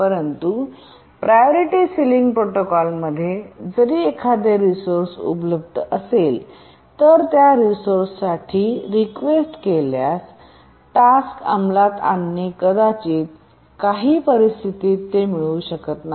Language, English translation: Marathi, But in the Priority Sealing Protocol, we'll see that even if a resource is available, a task executing, requesting that resource may not get it under some circumstances